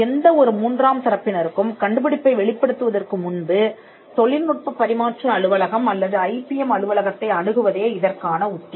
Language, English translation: Tamil, The strategy will be to approach the technology transfer office or the IPM cell before disclosing the invention to any third party